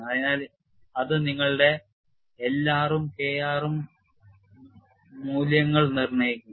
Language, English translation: Malayalam, So, that would be determined by your L r and K r values